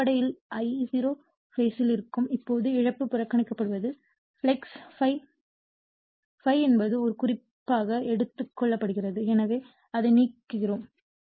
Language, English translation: Tamil, So, basically your I0 will be in phase now loss is neglected with the your in phase with your what you call is the flux ∅, ∅ is the taken as a reference right therefore, let me clear it